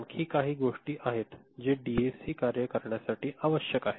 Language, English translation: Marathi, There are more things that are required for a DAC to work